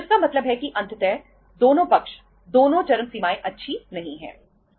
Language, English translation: Hindi, So it means ultimately uh both the sides both the extremes are not good